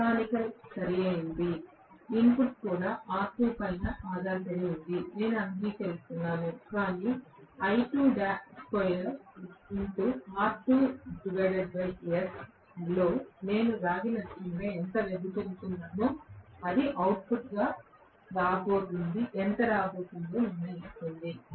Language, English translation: Telugu, Mechanical, right, even the input depends upon R2, I agree, but out of I2 square R2 by S how much I am dissipating as the copper loss that determines how much is coming as the output